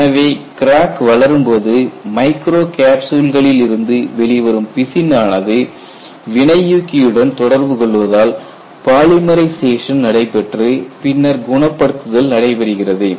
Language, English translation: Tamil, So, when the crack grows, you have release of resin from this and the catalyst interacts with this and you have polymerization takes place and then healing takes place